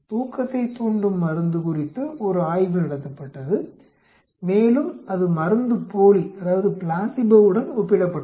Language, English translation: Tamil, A study was conducted on a sleep inducing drug and it was compared with placebo